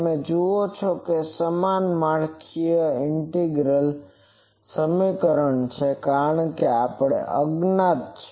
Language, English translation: Gujarati, You see it is a similar structure integral equation, because this is unknown